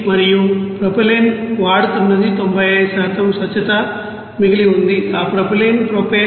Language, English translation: Telugu, And propylene whatever it is being used that is 95% of purity remaining is along with that propylene is propane